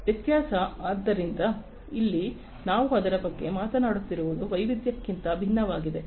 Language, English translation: Kannada, Variability, so here we are talking about it is different from variety